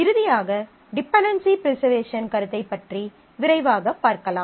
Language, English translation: Tamil, Finally, let me quickly go over the dependency preservation concept